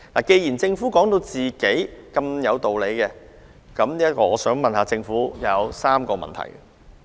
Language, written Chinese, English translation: Cantonese, 既然政府認為它有充分理據，我向政府提出3個問題。, Since the Government considered its decision well - justified I will now put three questions to it